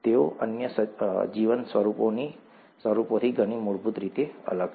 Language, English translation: Gujarati, They are different in many fundamental ways from the other life forms